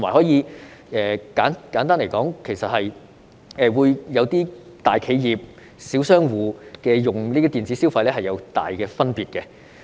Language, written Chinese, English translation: Cantonese, 再者，簡單來說，大企業和小商戶使用這些電子消費是大有分別的。, Furthermore simply put the use of electronic consumption vouchers for consumption at large companies and small businesses is very different